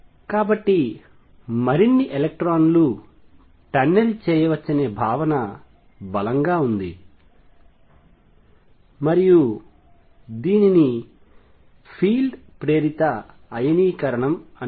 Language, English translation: Telugu, So, stronger the feel more electrons can tunnel through and this is known as field induced ionization